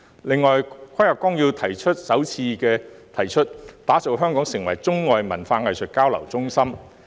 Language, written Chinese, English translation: Cantonese, 此外，《十四五規劃綱要》首次提出支持香港發展中外文化藝術交流中心。, In addition the Outline of the 14th Five - Year Plan proposed for the first time the support for Hong Kong to develop into an arts and culture exchange hub of China and the rest of the world